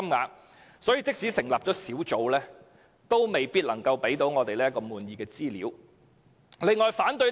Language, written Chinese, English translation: Cantonese, 由此可見，即使成立小組委員會，亦無法提供令市民滿意的資料。, From this we can see that the public will not be provided with satisfactory information even if a Subcommittee is set up